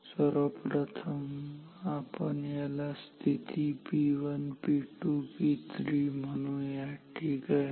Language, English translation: Marathi, So, let me write for position say 3 or P 3 ok